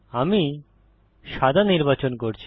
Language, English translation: Bengali, I am selecting white